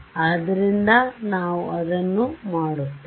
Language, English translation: Kannada, So, that is what we will do